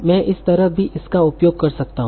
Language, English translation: Hindi, So again this can be used